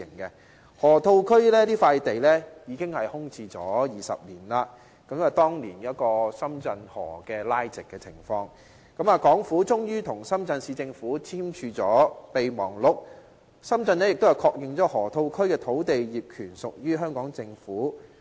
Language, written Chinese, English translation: Cantonese, 河套區這塊地已經空置了20年，當年因為將深圳河拉直，港府終於與深圳市政府簽署合作備忘錄，深圳亦確認了河套區土地業權屬於香港政府。, The piece of land in the Loop has been left vacant for two decades . Following the straightening of the Shenzhen River the Hong Kong Government and the Shenzhen Municipal Government eventually entered into a Memorandum of Understanding under which Shenzhen recognizes Hong Kong Governments land ownership over the Loop